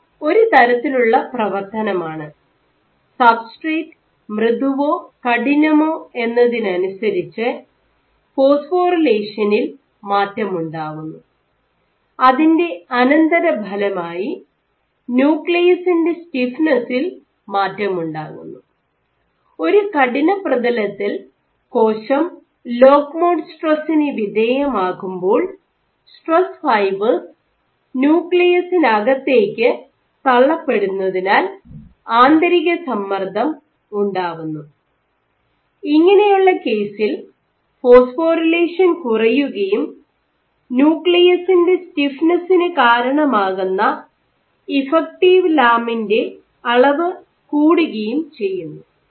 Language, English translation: Malayalam, So, this is one of the mechanisms, by which depending on a soft or stiff substrate the extent of phosphorylation changes and as a consequence the nucleus stiffness can also change, on a stiff surface when the cell is exposed to lock mode stresses internal stresses also you have stress fibers pushing on to the nucleus, in that case the phosphorylation decreases and there is higher levels of effective lamin, which contributes to the stiffness of the nucleus ok